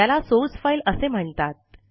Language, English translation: Marathi, This is called the source file